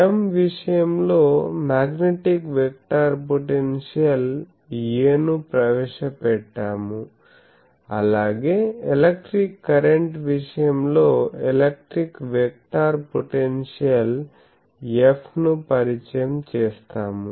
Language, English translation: Telugu, As in case of electric current, we introduced A the magnetic vector potential in case of M, will introduce the electric vector potential F; that is why I am saying